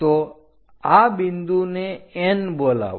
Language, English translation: Gujarati, So, call this point as N